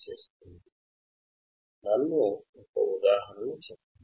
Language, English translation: Telugu, So, let me give an example